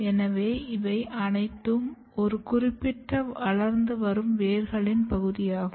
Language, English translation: Tamil, So, all these are part of a particular growing roots